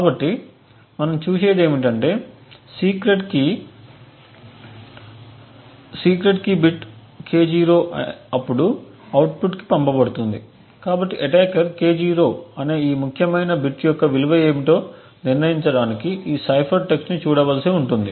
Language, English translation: Telugu, So, therefore what we see is that secret key bit K0 is then passed to the output, so the attacker would just need to look at these significant bit of cipher text to determining what the value of K0 is, so in this way the attacker has obtained one bit of the secret key